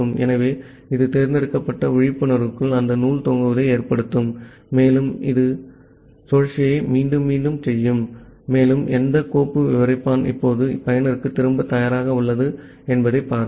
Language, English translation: Tamil, So, this will cause that thread sleeping inside the select wakeup and it will repeat the above loop and see which of the file descriptor are now ready to be returned to the user